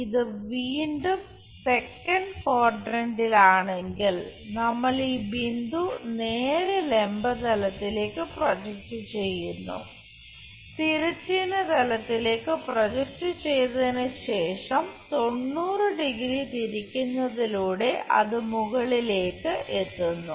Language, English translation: Malayalam, If it is in second quadrant again we project that,if it is in second quadrant we will straight away project this point on to vertical plane, horizontal plane project it then rotate it 90 degrees it comes all the way up